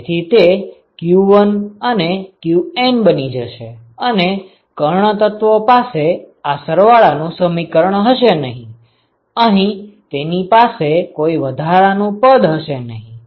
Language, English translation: Gujarati, So, that is going to be q1 and qN and the diagonal elements will not have this summation term, this will not have this additional term here